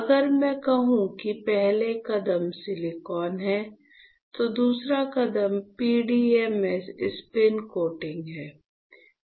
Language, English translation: Hindi, So, if I say if the first step is silicon, then the second step is PDMS, spin coating